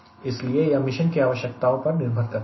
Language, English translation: Hindi, so depending upon type of mission requirement